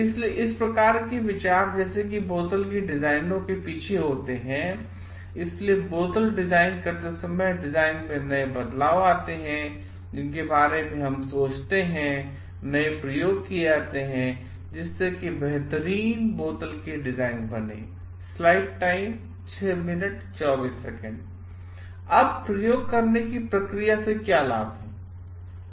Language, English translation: Hindi, So, these kind of thoughts like which occur at the back of designing of bottle, so bring in new changes in the design which is we think of while designing bottles and may lead to like different set of experiments to come up with the best possible design